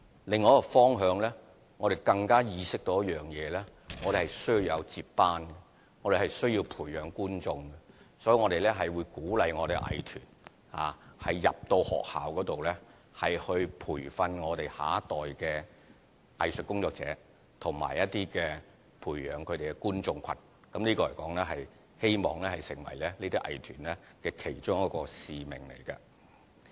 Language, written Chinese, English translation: Cantonese, 另一個方向，我們更意識到需要有接班人，需要培養觀眾，所以會鼓勵藝團到學校內，培訓下一代的藝術工作者和培養觀眾群，希望這能成為藝團的其中一個使命。, Concerning the other direction we are more aware that we need succession and audience building and thus we will encourage art groups to train the next generation of artists and build up audienceship in schools . I hope that this can become one of the missions of art groups